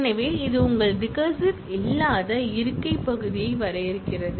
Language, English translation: Tamil, So, which defines your non recursive seat part